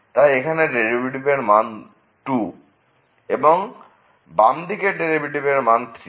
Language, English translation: Bengali, So, here the derivative is 2 whereas, there the left side derivative is 3 and the right side derivative is 2